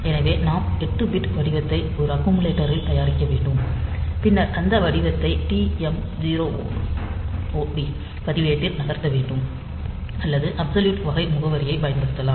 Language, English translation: Tamil, So, we have to prepare the 8 bit pattern in some accumulator, and then we have to move that pattern to this TMOD register, or we can use this type of absolute addressing